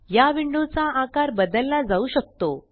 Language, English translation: Marathi, These windows can be re sized